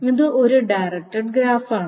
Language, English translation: Malayalam, So this is a directed graph